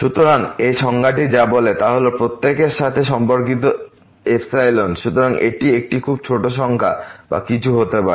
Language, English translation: Bengali, So, what this definition says is that corresponding to every epsilon; so this could be a very small number or anything